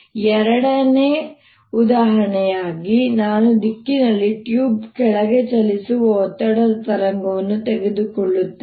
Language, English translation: Kannada, also, as a second example, i will take pressure wave travelling down a tube in the direction x